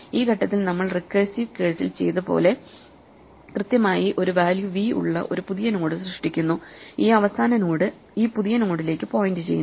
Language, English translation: Malayalam, At this point we do exactly what we did in the recursive case we create a new node with a value v and we make this last node point to this new node